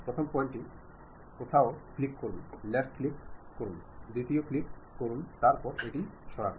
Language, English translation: Bengali, Pick first point somewhere click, left click, right click, sorry left click only, second one, the third one click then move it